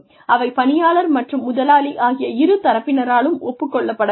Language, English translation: Tamil, They should be agreed upon mutually, by the employee and the employer